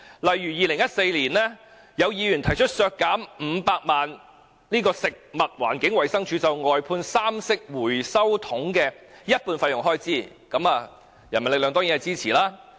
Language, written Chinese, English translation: Cantonese, 以2014年為例，有議員提出削減食物環境衞生署就外判三色回收桶的一半費用開支500萬元，人民力量當然支持。, For example in 2014 a Member proposed cutting half of the Food and Environmental Hygiene Department FEHD expenditure on outsourcing the provision of three - colour waste separation bins which was 5 million . The People Power of course lent it support